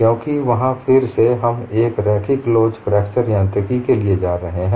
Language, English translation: Hindi, Because there again, we are going in for a linear elastic fracture mechanics